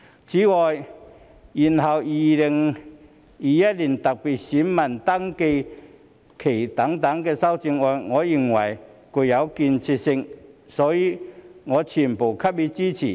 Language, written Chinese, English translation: Cantonese, 此外，延後2021年特別選民登記限期等修正案，我認為具建設性，所以我全部給予支持。, In addition I think that the amendments to extend the deadline for special voter registration in 2021 are constructive and thus I support them all